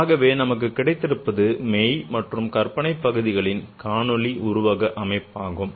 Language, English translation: Tamil, So what we have is a visual representation for real and imaginary parts